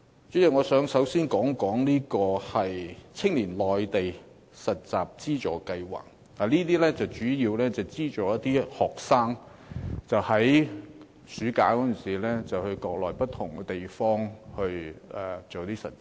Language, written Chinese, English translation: Cantonese, 主席，我首先想說一說，青年內地實習資助計劃主要是資助學生在暑假的時候，到國內不同地方實習。, Chairman first I wish to talk about the Funding Scheme for Youth Internship in the Mainland . The funding scheme subsidizes students to work as interns in different places in the Mainland during the summer holiday